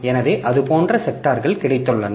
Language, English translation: Tamil, So, like that we have got sectors